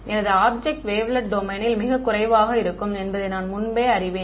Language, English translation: Tamil, I know beforehand that my object is going to be sparse in the wavelet domain right